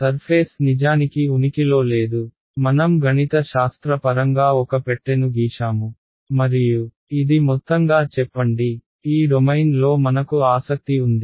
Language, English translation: Telugu, The surface does not actually exist I have just mathematically drawn a box and let us say this is overall this is my the domain that I am interested in ok